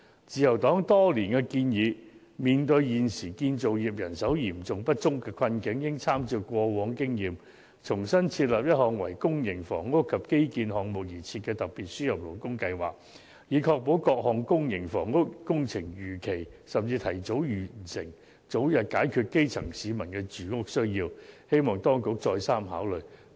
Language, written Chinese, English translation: Cantonese, 自由黨多年來建議，面對現時建造業人手嚴重不足的困境，應參照過往的經驗，重新設立一項為公營房屋及基建項目而設的特別輸入勞工計劃，以確保各項公營房屋工程能夠如期甚至提早完成，早日解決基層市民的住屋需要，希望當局再三考慮。, Over the years in the face of serious manpower shortage in the construction industry the Liberal Party has suggested the authorities to draw on past experiences and formulate a brand new special labour importation scheme for public housing and infrastructure works projects so as to ensure the completion of various public housing and infrastructure projects in Hong Kong on schedule or even ahead of schedule to meet the housing need of grass - roots people as early as possible . We hope that the authorities would think twice